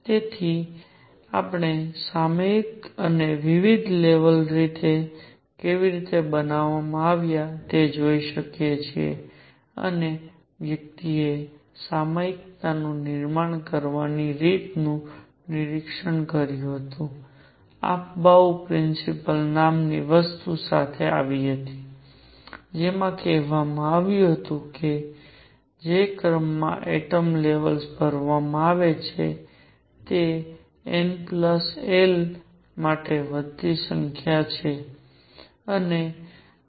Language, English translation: Gujarati, So, one could see the periodicity or how the different levels are built, and one also observed the way periodicity was built and came up with something called the Afbau principle, which said that the order in which atomic levels are filled is in increasing number for n plus l